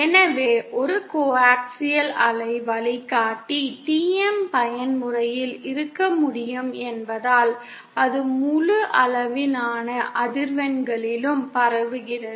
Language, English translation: Tamil, So then, since in a coaxial waveguide TM mode can exist, hence it can transmit over the entire range of frequencies